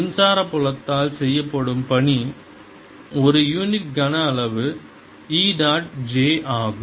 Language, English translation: Tamil, work done by electric field is e dot j per unit volume